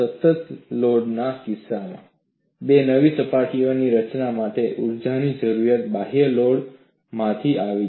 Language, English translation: Gujarati, In the case of a constant load, the energy requirement for the formation of two new surfaces came from the external load